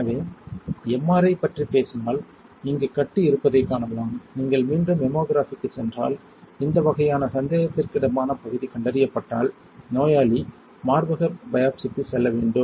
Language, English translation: Tamil, So, if you talk about MRI you can see that there is a lump here, if you go for Mammography again you can see a lump here when this kind of suspected region is identified a patient has to go for Breast Biopsy